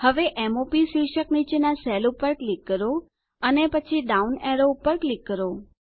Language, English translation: Gujarati, Now click on the cell just below the heading M O P and then click on the down arrow